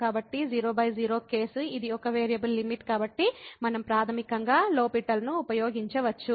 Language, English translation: Telugu, So, 0 by 0 case this is a one variable limit so, we can use basically L’Hospital